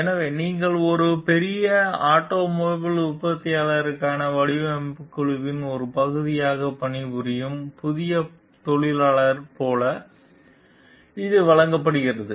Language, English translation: Tamil, So, it is given like you are a new engineer working as a part of a design team for a large automobile manufacturer